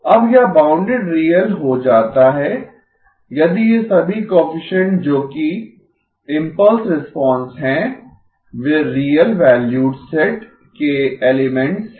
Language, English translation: Hindi, Now it becomes bounded real if all these coefficients which are the impulse response, they are elements of the real valued set